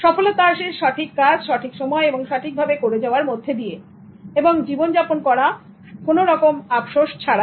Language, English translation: Bengali, Success is doing the right thing at the right time in the right way and living a life without any regrets